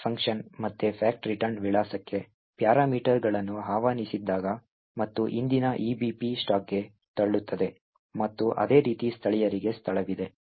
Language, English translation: Kannada, When the fact function gets invoked again parameters to the fact return address and the previous EBP gets pushed onto the stack and similarly there is space present for this fact locals